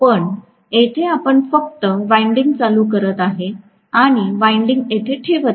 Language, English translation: Marathi, But we will only play is the winding here and place the windings here